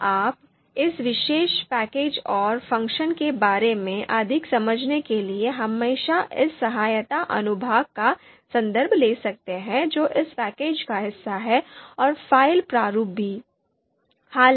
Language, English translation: Hindi, Now, you can always refer to this help section to understand more about this particular package and the function which are part of this package and the file format also